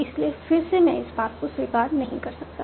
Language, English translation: Hindi, So again, I cannot accept this path